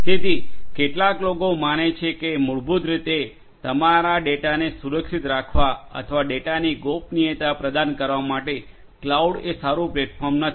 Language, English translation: Gujarati, So, some people believe that cloud basically is not a good platform for securing your data or you know offering privacy of the data